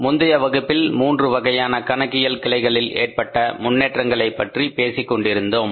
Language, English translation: Tamil, So, in the previous class we were talking about the development of the three branches of accounting